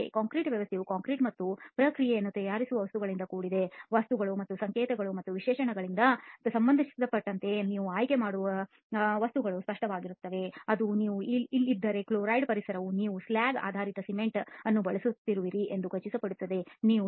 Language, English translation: Kannada, The concrete system is composed of the materials that go into making the concrete as well as the processes, the materials are obviously the ones that you make a choice of as far as the codes and specifications are concerned, it tells you that okay if you are in a chloride environment ensure that you are using slag based cement, ensure that you are not using a water to cement ratio of more than 0